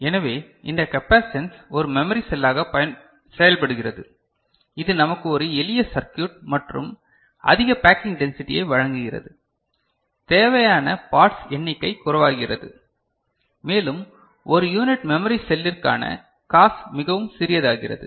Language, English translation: Tamil, So, this capacitance acts as a memory cell and this provides us a simple circuit and a higher packing density, number of parts required becomes less, and the cost also per unit memory cell becomes much, much smaller